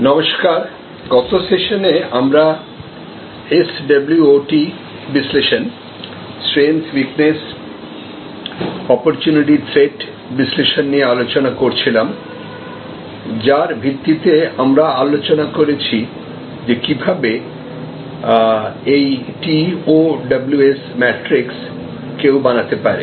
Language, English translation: Bengali, Hello, in the last session we were discussing about SWOT analysis, Strength Weakness Opportunity and Thread analysis based on which we discussed that how one can develop this TOWS matrix, T O W S